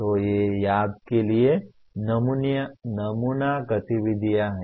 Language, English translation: Hindi, So these are the sample activities for remember